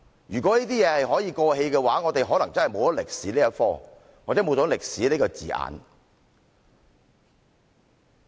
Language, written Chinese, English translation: Cantonese, 如果這些事情可以過氣的話，我們可能會沒有歷史這科目，或者沒有歷史這個字眼。, If these mistakes can fade then we probably no longer have to study history anymore or the word history can be erased totally . Overdo and over are two words with different meanings